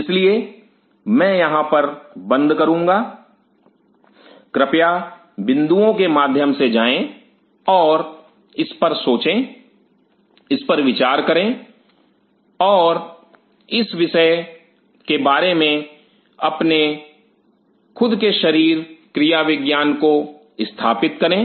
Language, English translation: Hindi, So, I will close in here please go through the points and think over it ponder upon it and develop your own philosophy about the subject